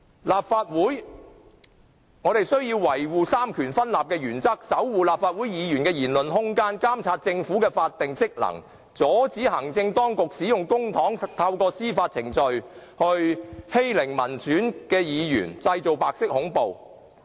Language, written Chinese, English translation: Cantonese, 立法會需要維護三權分立的原則，守護立法會議員的言論空間，監察政府的法定職能，阻止行政當局使用公帑，透過司法程序來欺凌民選議員，製造白色恐怖。, The Legislative Council should safeguard the separation of powers principle protect the space for free speech for Members monitor the statutory functions of the Government prevent Executive Authorities from bullying elected Members through judicial proceedings with public money and thus creating white terror